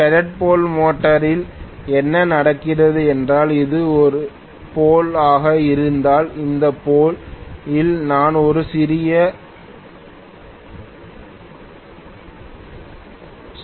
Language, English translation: Tamil, In shaded pole motor what happens is if this is one of the poles I am going to have a small protrusion in this pole